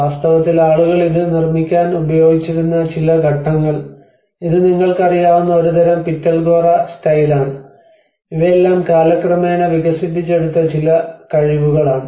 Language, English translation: Malayalam, In fact, some point of the time people also used to make it, this is a kind of Pitalkhora style of hairstyle you know, these are all some representative skills which has been developed through time